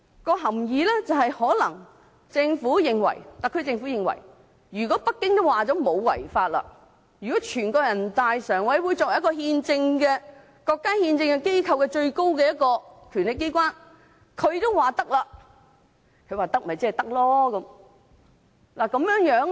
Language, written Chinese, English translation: Cantonese, 便是特區政府可能認為，如果北京表示《條例草案》不違法，如果人大常委會作為國家憲政機構中最高的權力機關也表示可以，即是可以。, The implication is that the Government possibly thinks that if Beijing indicates that the Bill does not contravene the law and if NPCSC being the highest constitutional authority of China indicates that something can be done then it can be done